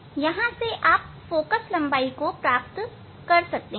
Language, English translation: Hindi, this is the approximately position for the focal length